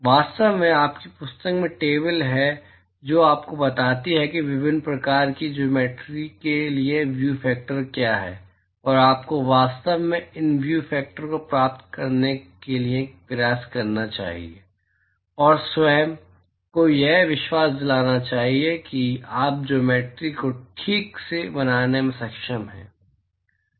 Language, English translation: Hindi, In fact, there are tables in your book which tells you what is the view factor for different shape geometries and you should really attempt to derive these view factors and convince yourself that you are able to construct the geometries properly